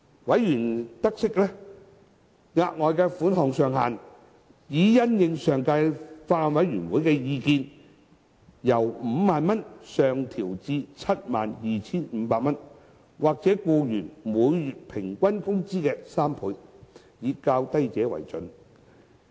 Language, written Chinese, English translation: Cantonese, 委員察悉，額外款項上限已因應前法案委員會的意見，由 50,000 元上調至 72,500 元，或僱員每月平均工資的3倍，以較低者為準。, As noted by members in light of the views of the Former Bills Committee the ceiling of the further sum has been raised from 50,000 to 72,500 or three times the employees average monthly wages whichever is lesser